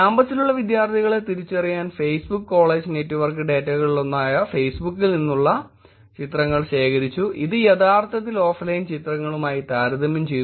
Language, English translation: Malayalam, Pictures from Facebook, one of the Facebook college network data was collected to identify students who are in campus and it was actually compared to the offline pictures also